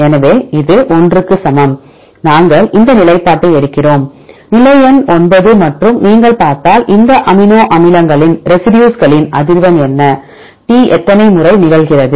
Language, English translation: Tamil, So, this equal to 1; we take this position; position number 9 and so if you see there are what is the frequency of these amino acids residues; how many times T occurs